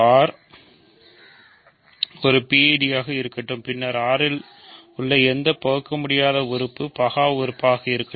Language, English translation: Tamil, Let R be a PID, then any irreducible element in R is prime